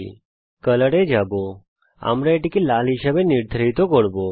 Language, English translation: Bengali, We will go to color, we define it as red